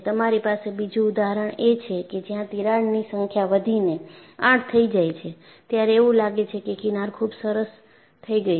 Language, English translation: Gujarati, You have another example, where, the number of cracks have increased to 8; and here again, you find the fringes are very nice